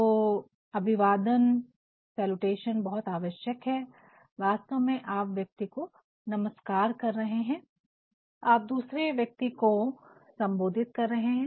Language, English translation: Hindi, So, the salutation is very important, and through salutation, you are actually greeting the other person, you are addressing the other person I mean the receiver